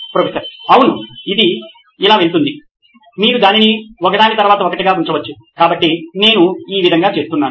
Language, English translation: Telugu, Yes, this goes like this you can keep it one level after the other so I am just doing it this way